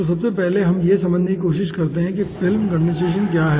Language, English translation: Hindi, so first let us try to understand what is film condensation